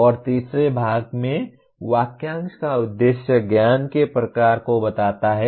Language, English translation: Hindi, And the third part the object of the phrase states the type of knowledge